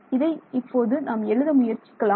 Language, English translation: Tamil, So, let us write that out